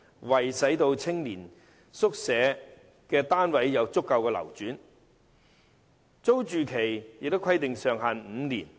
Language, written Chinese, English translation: Cantonese, 為使青年宿舍單位有足夠流轉，當局把租住期上限訂為5年。, In order to facilitate adequate turnover of YHS units the maximum tenancy period is set at five years